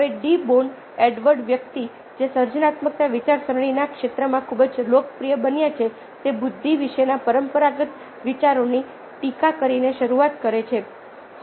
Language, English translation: Gujarati, now, de bono: edward de bono, ah person who became very popular in this field of creative thinking, ah starts by critiquing ah the conventional ideas about intelligence